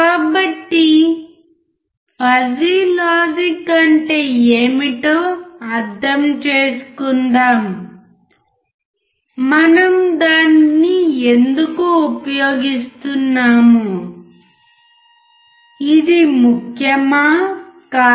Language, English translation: Telugu, So, let us understand what is fuzzy logic; why we are using it; whether it is important or not